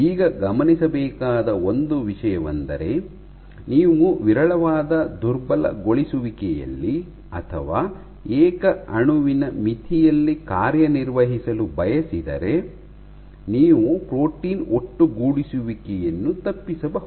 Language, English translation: Kannada, Now one thing to note is you want to operate at the sparse dilution or rather almost at the single molecule limit, as a single molecule limit so that you can avoid protein aggregation